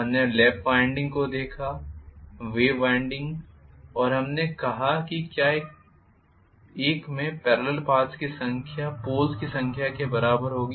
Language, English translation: Hindi, We looked at lap winding; wave winding and we said why one would have the number of parallel paths as many as the number of poles